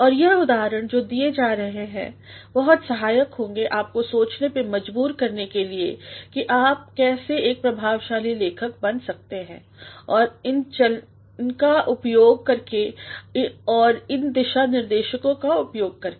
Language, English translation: Hindi, And the examples that have been provided will be quite helpful to make you think about how you can also become an effective writer by applying these tricks and by applying these guidelines